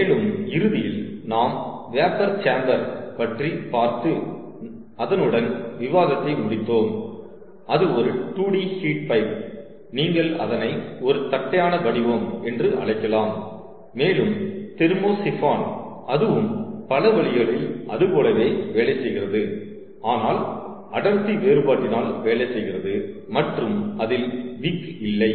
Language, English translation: Tamil, ok, and finally we wrapped up our discussion by looking at vapor chamber, which is a two d heat pipe you may call it so in a flattened profile, and also thermosiphons, which works in many ways, is similar, but works due to density difference and does not contain a wick